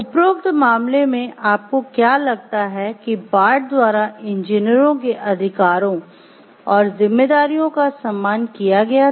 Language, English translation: Hindi, In the case above, do you think that the rights and responsibilities of the engineers were respected by Bart